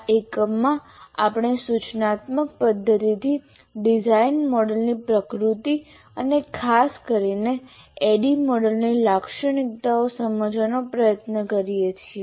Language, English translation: Gujarati, Now in this unit, we try to understand the nature of instructional system design models and particularly features of ADI model